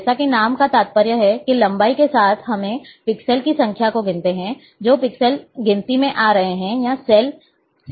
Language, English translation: Hindi, As name implies, that along the length we run and count the number of pixels, which are coming, or the cells are coming